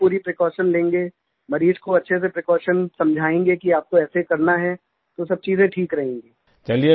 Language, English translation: Hindi, If we observe precautions thoroughly, and explain these precautions to the patient that he is to follow, then everything will be fine